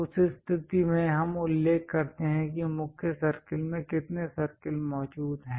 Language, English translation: Hindi, In that case we really mention how many circles are present and along which main circle they were placed